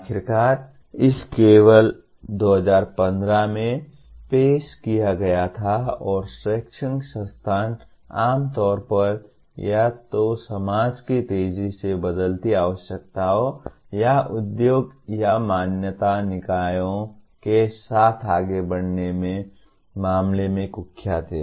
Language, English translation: Hindi, After all, it was only introduced in 2015 and educational institutions are generally notorious in terms of moving with the fast changing requirements of the either society or with of the industry or accreditation bodies